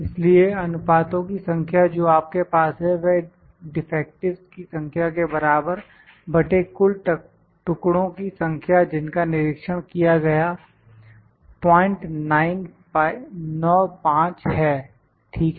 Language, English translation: Hindi, So, number of proportion you have directly would be this is equal to the number of defectives divided by the total number of pieces those are inspected this is 0